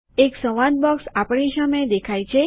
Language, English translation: Gujarati, A dialog box appears in front of us